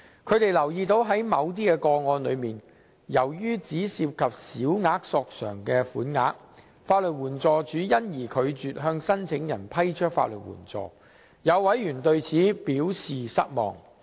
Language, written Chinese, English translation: Cantonese, 他們留意到在某些個案中，由於只涉及小額申索款額，法律援助署因而拒絕向申請人批出法律援助，有委員對此表示失望。, They note that in certain cases the Legal Aid Department LAD has refused to grant legal aid to applicants in view of the small amounts of claims involved and Members are disappointed about that